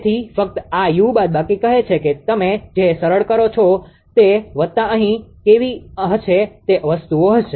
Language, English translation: Gujarati, So, only this u minus say what you simplify u plus will be here how things are look